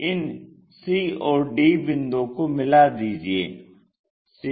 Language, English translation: Hindi, So, locate that c point